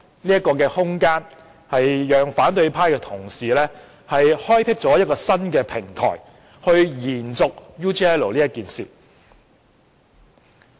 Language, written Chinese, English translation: Cantonese, 這空間讓反對派同事開闢一個新平台去延續 UGL 事件。, Such a gap has provided a new platform for opposition Members to continue to pursue the UGL incident